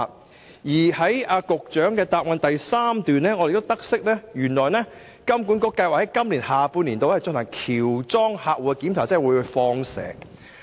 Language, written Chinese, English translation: Cantonese, 我亦從答覆第三部分得悉金管局計劃在今年下半年進行喬裝客戶檢查，即"放蛇"。, I also learnt from part 3 of the main reply that HKMA planned to commission a mystery shopping programme that is undercover operation in the latter half of this year to access the relevant measures